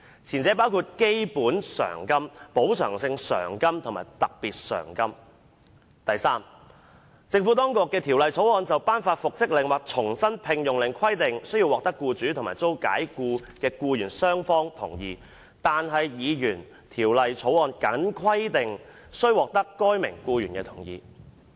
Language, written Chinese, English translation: Cantonese, 前者會包括基本償金、補償性償金及特別償金"；及第三，"政府當局的條例草案就頒發復職令或重新聘用令規定須獲得僱主及遭解僱的僱員雙方同意，但議員條例草案僅規定須獲得該名僱員的同意"。, The former would comprise a basic award a compensatory award and a special award; and third unlike the Administrations Bill which would require the mutual consent of the employer and the dismissed employee for the grant of a reinstatement or re - engagement order his Bill would only require the consent of the employee